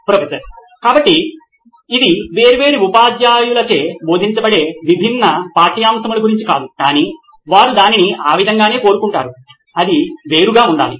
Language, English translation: Telugu, So it’s not about different subjects being taught by different teacher but they just want it that way, it should be separate